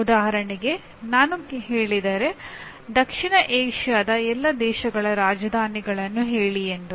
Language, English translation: Kannada, For example if I want to call give me the capitals of all the South Asian countries